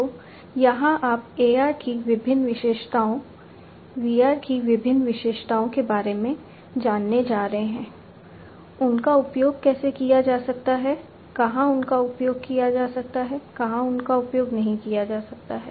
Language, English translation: Hindi, So, here you are just going to learn about the different features of AR, different features of VR, how they can be used, where they can be used, where they cannot be used